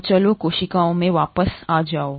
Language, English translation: Hindi, So letÕs come back to the cells